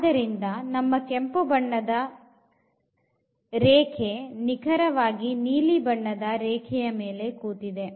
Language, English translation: Kannada, And therefore, we get this line the red line is sitting over the blue line here